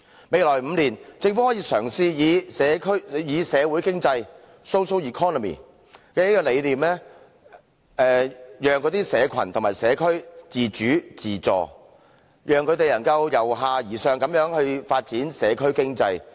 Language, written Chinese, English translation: Cantonese, 未來5年，政府可嘗試以社會經濟的理念，讓社群和社區自主、自助，讓他們能由下而上發展社區經濟。, In the coming five years the Government can explore the idea of a social economy in which people groups or people in a community act and help themselves to develop a bottom - up community economy